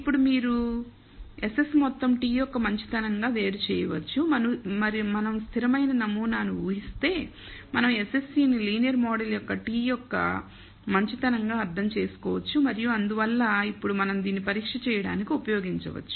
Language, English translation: Telugu, Now, one can you separate SS total as the goodness of t if we assume a constant model, we can interpret SSE as the goodness of t of the linear model and therefore, we can now use this to perform a test